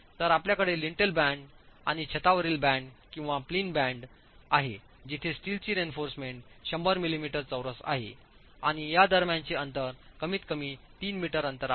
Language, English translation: Marathi, So, you have the lintel band and the roof band or the plinth band where the steel reinforcement is at least 100 millimetre square and the spacing between these is at least 3 meters apart